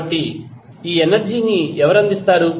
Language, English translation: Telugu, So, who will provide this energy